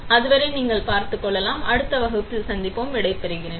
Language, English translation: Tamil, Till then, you take care; I will see you in next class, bye